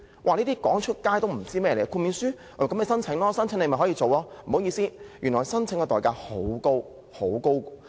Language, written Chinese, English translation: Cantonese, 這些資料說出來也沒有人知道，別以為申請豁免書便可以做，不好意思，原來申請的代價很高。, No one knows this information . Having a waiver still does not mean that you can pursue these activities . Sorry the price for applying for a waiver very high